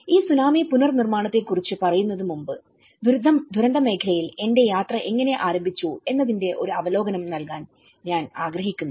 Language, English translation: Malayalam, Before talking about this Tsunami Reconstruction Tamil Nadu, I would like to give you an overview of how my journey in the disaster field have started